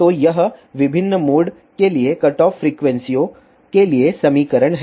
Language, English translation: Hindi, So, this isthe equation for cutoff frequencies for different modes